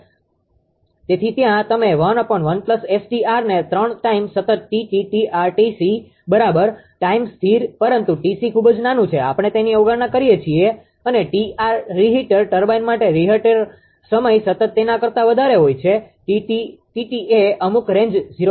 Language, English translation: Gujarati, So, there you can make 1 upon 1 plus ST c the 3 time constant T t T r and T c right, the 3 time constant, but T c T c is very small we neglect that and T r the reheat time constant for reheat turbine it is higher than T t, T t is some range is there in between 0